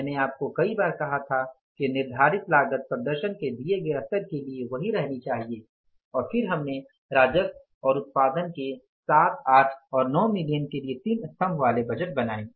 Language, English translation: Hindi, I told you many times that the fixed cost should remain fixed for the given level of performance and then we prepared that say columnar budget, three columnar budget for 7, 8 and 9 million level of the revenue and productions